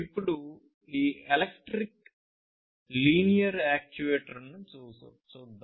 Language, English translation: Telugu, Now, let us look at this electric linear actuator